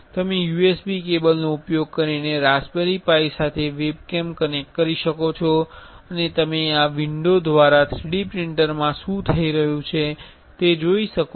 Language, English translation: Gujarati, You can connect a web cam to the raspberry pi using a the USB cable and you can see what is happening in the 3D printer through this window